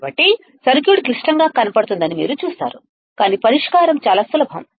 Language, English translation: Telugu, So, you see the circuit may look complex, but the solution is very easy